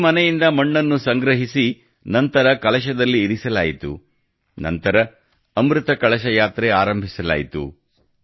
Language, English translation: Kannada, After collecting soil from every house, it was placed in a Kalash and then Amrit Kalash Yatras were organized